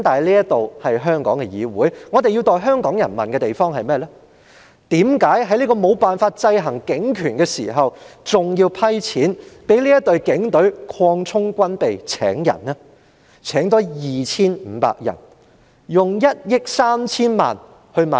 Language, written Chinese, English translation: Cantonese, 不過，這是香港的議會，我們要代香港人問的問題是：為何在無法制衡警權的同時，還要撥款給警隊擴充軍備及招聘人手？, And yet this is the legislature of Hong Kong and the question that we have to ask on behalf of Hong Kong people is Why should we allocate funding for the Police Force to expand armaments and increase manpower when we cannot keep the police powers in check?